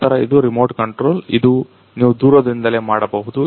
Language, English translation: Kannada, Then this is a remote control This is the you can remotely